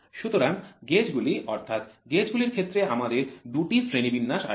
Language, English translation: Bengali, So, gauges, so in gauges then I will write to have two classifications